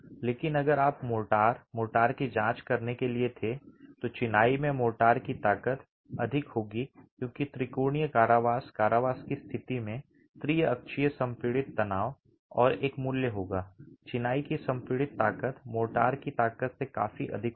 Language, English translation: Hindi, But if you were to examine the motor, the motor, the strength of the motor in the masonry will be higher because of the triaxial confinement, the triaxial compressive stress in the state of confinement and will have a value, the compressive strength of the masonry will be significantly higher than the strength of the motor itself